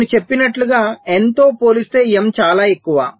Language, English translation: Telugu, so, as i said, m is much greater as compared to n